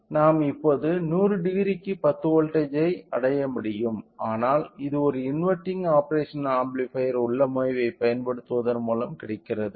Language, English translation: Tamil, So, that we now we could able to achieve 10 volts for 100 degree, but this is by using inverting operational amplifier configuration